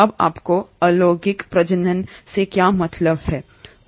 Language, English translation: Hindi, Now what do you mean by asexual reproduction